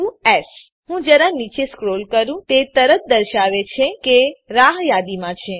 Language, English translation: Gujarati, two s Let me scrolldown a little bit it immiediately says that it is wait listed